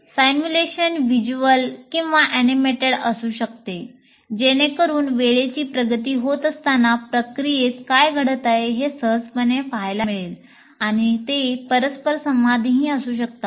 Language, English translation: Marathi, Simulation can be visual and animated allowing you to easily see what's happening in the process as time progresses